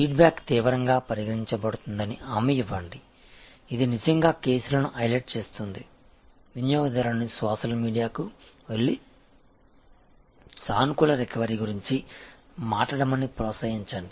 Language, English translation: Telugu, Assure that the feedback is taken seriously see that, it is truly taken seriously highlight the cases, encourage the customer to go to the social media and talk about the positive recovery